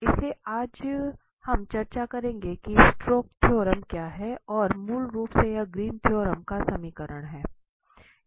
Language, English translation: Hindi, So, today we will discuss what is the Stokes’ theorem and basically this is the generalization of Greens theorem